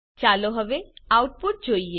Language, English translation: Gujarati, Now let us see the output